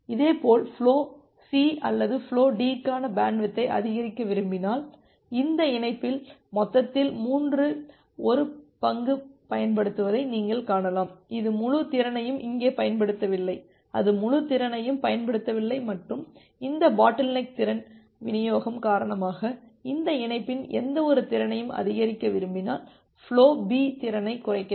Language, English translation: Tamil, Similarly, if you want to increase the bandwidth for flow C or flow D because you can see that in this link the total capacity that is being utilized two third, it is not utilizing the full capacity here also, it is not utilizing the full capacity and just by taking that if you want to increase the capacity of any of this link because of this bottleneck capacity distribution, you have to decrease the capacity of say flow B